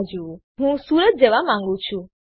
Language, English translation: Gujarati, So actually i want to go to Surat